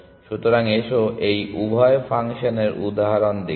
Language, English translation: Bengali, So, let us look at examples of both this functions